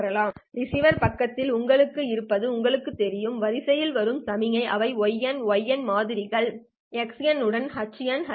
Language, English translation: Tamil, But at the receiver side what you have is you know the signals which are coming in sequence which would be the samples y of n